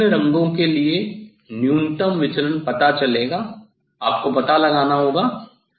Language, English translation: Hindi, minimum deviation you will find out for different colour; you have to find out